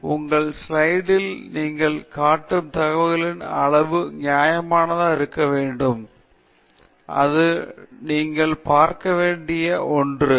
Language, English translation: Tamil, So, the amount of information you show on your slide should be reasonable and that’s something that you should look at